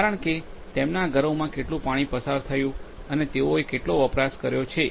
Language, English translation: Gujarati, Because how much water has been passed to their homes and what consumption they have made